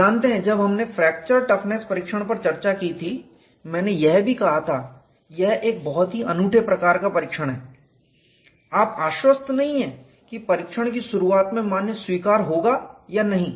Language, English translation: Hindi, You know while we discussed fracture stiffness testing, I also said this is very unique type of test you are not guaranteed at the start of the test whether the value would be acceptable or not